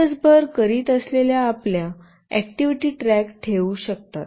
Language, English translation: Marathi, You can keep a track of your activities that you are doing throughout the day